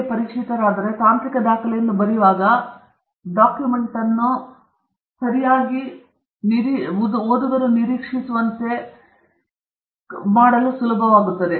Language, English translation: Kannada, If you become familiar, then when you write a technical document it becomes easier to make the document closer to what is expected okay